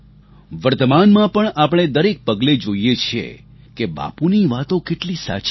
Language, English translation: Gujarati, At present we witness at every step how accurate Bapus words were